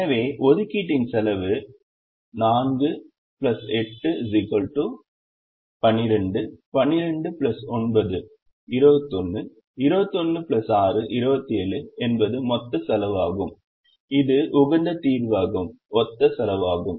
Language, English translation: Tamil, so the cost of the assignment is four plus eight, twelve, twelve plus nine, twenty one, twenty one plus six, twenty seven is the total cost, which is the cost corresponding to the optimum solution